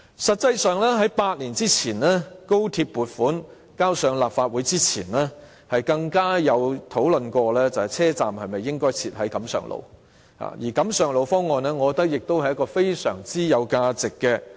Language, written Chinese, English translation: Cantonese, 實際上，在8年前，即高鐵撥款提交立法會前，更曾經討論車站應否設在錦上路，而我覺得錦上路方案亦非常值得研究。, In fact eight years ago before the tabling of the funding proposal for XRL to the Legislative Council there had been discussion on whether the terminus should be located at Kam Sheung Road and I think this proposal was very much worthy of study